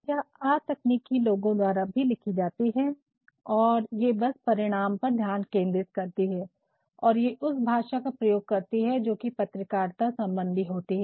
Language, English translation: Hindi, And, written by non technical people also and it simply focuses on result and it uses a language that is journalistic